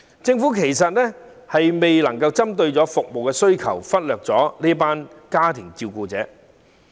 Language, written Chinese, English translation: Cantonese, 政府其實未能針對服務需求採取適切措施，亦忽略了這群照顧者。, In fact the Government has failed to take appropriate measures to meet the service demand and has neglected this group of carers